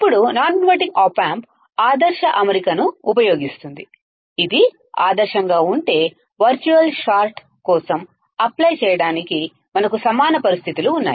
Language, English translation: Telugu, Now, the non inverting op amp is using ideal configurations, if it is ideal, then we have equal conditions to apply for virtual short